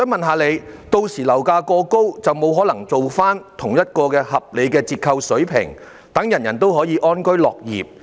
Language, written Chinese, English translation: Cantonese, 屆時如果樓價過高，便不可能提供同一個合理折扣水平，令所有人安居樂業。, If the property prices are too high at that time it will not be possible to provide the same reasonable discount to allow members of the public to live in peace and contentment